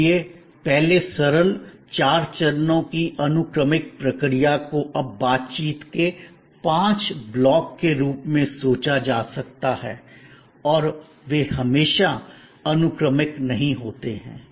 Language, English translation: Hindi, So, that earlier simple four steps sequential process can be now thought of as five blocks of interaction and they are not always sequential